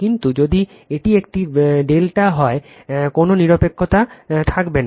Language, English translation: Bengali, But, if it is a delta, there will be no neutral